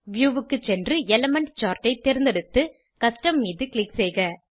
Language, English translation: Tamil, Go to View, select Element Charts and click on Custom